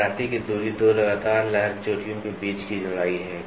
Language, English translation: Hindi, The spacing of waviness is the width between two successive wave peaks